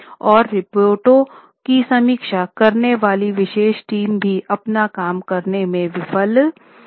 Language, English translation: Hindi, Now, special team of reviewing the reports also failed to perform their job